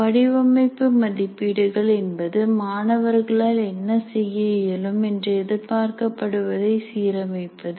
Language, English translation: Tamil, Designing assessments that are in alignment with what the students are expected to be able to do